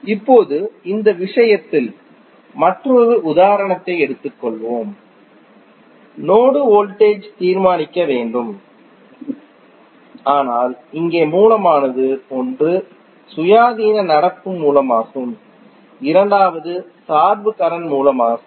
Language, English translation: Tamil, Now, let us take one another example in this case the node voltage needs to be determine but here the source is one is independent current source and second is the dependent current source